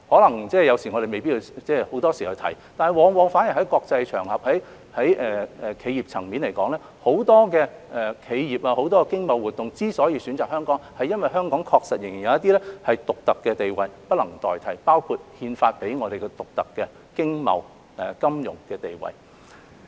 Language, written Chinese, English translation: Cantonese, 我們有時候未必常常提到，但往往反而在國際場合或企業層面上，很多企業和經貿活動選擇香港，是因為香港確實仍然有一些獨特的地位是不能代替的，包括憲法賦予我們的獨特經貿、金融地位。, We may not talk about them very often but they are precisely why in the international or business arena many enterprises or trade activities have chosen their destinations in Hong Kong . Hong Kong does have certain unique statuses that are irreplaceable including the unique economic trade and financial position conferred upon Hong Kong by the Constitution